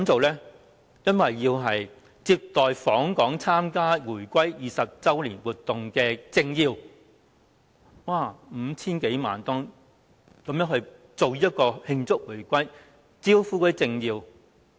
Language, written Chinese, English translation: Cantonese, 原因是要接待參加回歸20周年慶祝活動的訪港政要，花費共 5,000 多萬元，就是要慶祝回歸、招呼政要。, Why? . Because it will have to receive political dignitaries visiting Hong Kong for activities celebrating the 20 anniversary of Hong Kongs reunification . This expenditure of more than 50 million is meant to celebrate the reunification and entertain political dignitaries